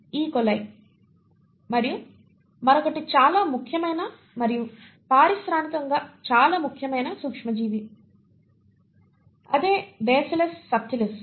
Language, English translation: Telugu, coli that you find in your gut and another very important and industrially a very important microbe which is the Bacillus subtilis